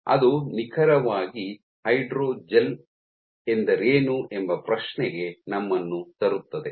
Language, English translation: Kannada, So, that brings us to the question what exactly is the hydrogel